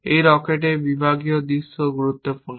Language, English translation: Bengali, The sectional view of this rocket is also important